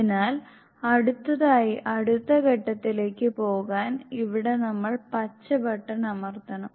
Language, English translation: Malayalam, So here we will press the green button